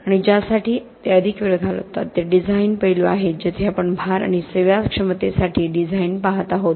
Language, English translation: Marathi, And what they spend more time is the design aspects where we are looking at design for loads and serviceability